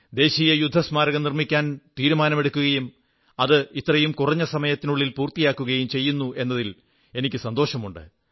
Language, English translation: Malayalam, We decided to erect the National War Memorial and I am contented to see it attaining completion in so little a time